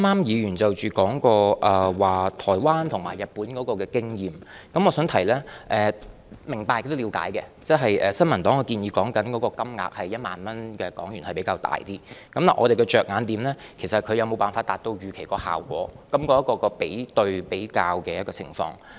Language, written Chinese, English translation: Cantonese, 議員剛才提到台灣和日本的經驗，我想指出，我是明白和了解的，新民黨建議的1萬港元消費券金額是比較大，但我們的着眼點是有關措施能否達到預期效果，是在於比較下的情況。, The Honourable Member just mentioned the experience in Taiwan and Japan . I want to point out that I understand and appreciate her concern . The HK10,000 consumption voucher proposed by the New Peoples Party is of a rather high value but our focus is on whether the measure concerned can achieve the expected effect under comparison